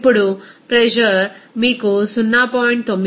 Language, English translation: Telugu, Now, the pressure is given to you 0